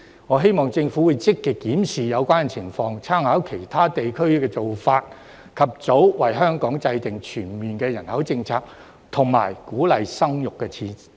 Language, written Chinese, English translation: Cantonese, 我希望政府會積極檢視有關的情況，參考其他地區的做法，及早為香港制訂全面的人口政策和鼓勵生育的措施。, I hope that the Government will actively review the relevant situation draw reference from the practices of other regions and formulate early a comprehensive population policy and measures for encouraging child birth in Hong Kong